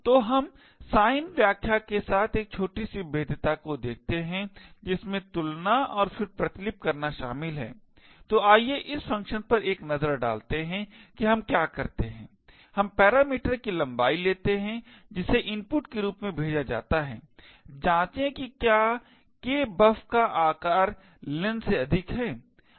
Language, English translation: Hindi, So, let us look at a small vulnerability with sign interpretation that involve comparisons and then copying, so let us take a look at this function where what we do is we take the parameter length which is passed as input, check whether len is greater than size of kbuf